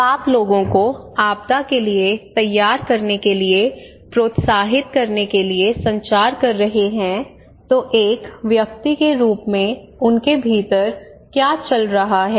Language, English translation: Hindi, But when you are communicating people to encourage them to prepare against disaster what they are going on inside them as an individual